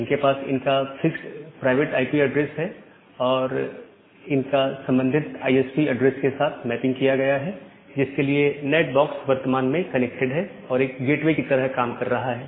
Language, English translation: Hindi, They are having their fixed private IP address and only a mapping is being done to the corresponding ISP address to which the NAT box which is working like a gateway is currently connected